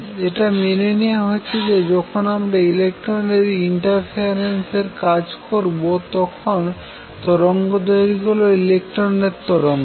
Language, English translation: Bengali, Accept that now, when we work with electron interference wavelength is that of electron waves